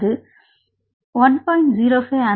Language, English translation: Tamil, So it is 1